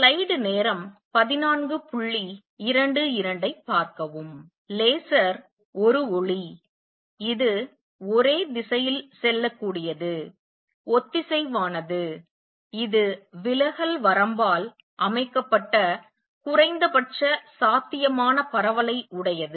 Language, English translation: Tamil, Laser is a light, which is highly directional, coherent, has minimum possible spread set by the diffraction limit